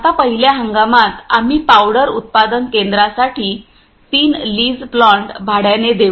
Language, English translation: Marathi, Now in first season we will lease plant 3 lease plant for powder manufacturing plant